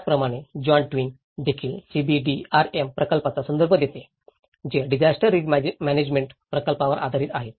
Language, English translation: Marathi, Similarly, John Twigg also refers to the CBDRM projects, which is the communities based disaster risk management projects